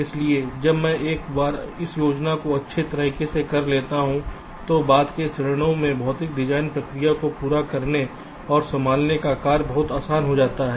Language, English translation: Hindi, so once i do this planning in a nice way, the task of laying out and handling the physical design process in subsequent stages becomes much easier